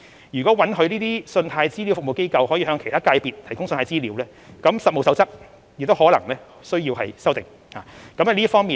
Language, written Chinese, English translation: Cantonese, 如果允許信貸資料服務機構向其他界別的機構提供信貸資料，《實務守則》亦可能需要作出修訂。, If CRAs are allowed to provide credit data to institutions of other sectors the Code of Practice may have to be revised accordingly